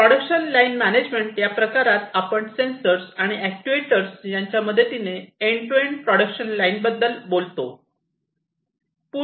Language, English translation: Marathi, Production line management here we are talking about end to end production line management with different sensors, actuators, you know